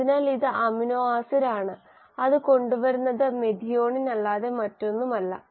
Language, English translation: Malayalam, So this is the amino acid it is bringing which is nothing but methionine